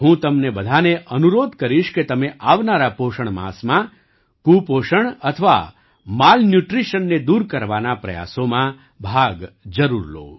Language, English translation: Gujarati, I would urge all of you in the coming nutrition month, to take part in the efforts to eradicate malnutrition